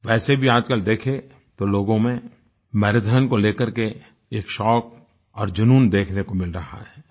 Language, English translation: Hindi, Anyway, at present, people have adopted and found a passion for the marathon